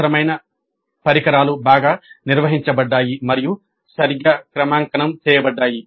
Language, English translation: Telugu, The required equipment was well maintained and calibrated properly